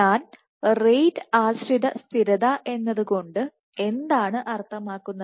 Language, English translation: Malayalam, So, what do I mean by rate dependent stability